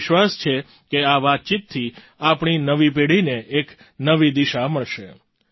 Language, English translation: Gujarati, I am sure that this conversation will give a new direction to our new generation